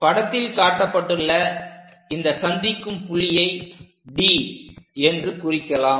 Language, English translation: Tamil, So, that we have an intersection point let us call that point as D